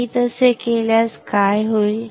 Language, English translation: Marathi, What will happen if I do that